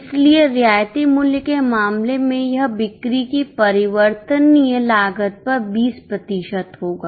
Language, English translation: Hindi, So, in case of concessional price, it will be 20% on variable cost of sales